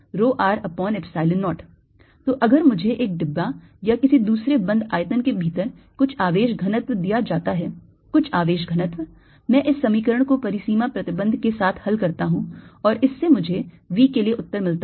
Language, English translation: Hindi, so if i am given some charge density inside a box or some other close volume, some charge density, i solve this equation with the boundary condition and that gives me the answer for v